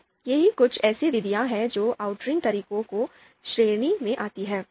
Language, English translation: Hindi, So these are some of the methods that come under outranking methods category